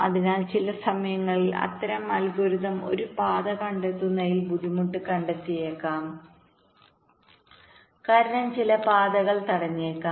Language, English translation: Malayalam, so there, sometimes the line such algorithm may find difficulty in finding a path because some of the paths may be blocked